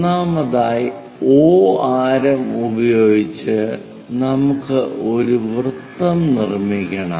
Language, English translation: Malayalam, Then O to 1 construct a radius make a cut there